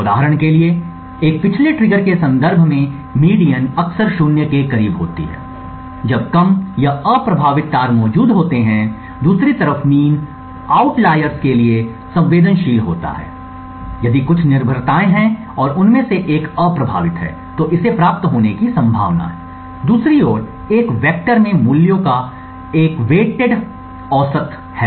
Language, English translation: Hindi, For example the median in the context of a backdoor triggers is often close to zero when low or unaffecting wires are present, the mean on the other hand is sensitive to outliers if there are few dependencies and one of them is unaffecting it is likely to get noticed, a triviality on the other hand is a weighted average of the values in the vector